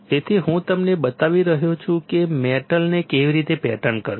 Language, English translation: Gujarati, So, I am showing you how to pattern metal